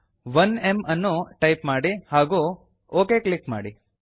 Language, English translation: Kannada, Type 1M and click on OK